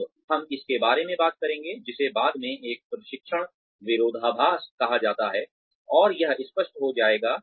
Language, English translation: Hindi, Now, we will talk about, something called as a training paradox later, and this will become clearer